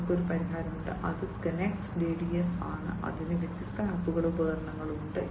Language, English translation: Malayalam, And they have a solution which is the Connext DDS, which has different apps and devices and